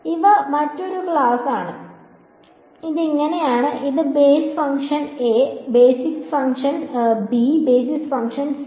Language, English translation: Malayalam, So, these are another class so this is so, this is basis function a, basis function b, basis function c